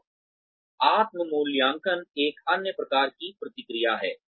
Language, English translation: Hindi, And, self appraisal is, another type of feedback